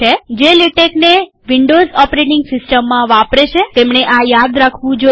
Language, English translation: Gujarati, Those who use latex in Windows operating system should remember this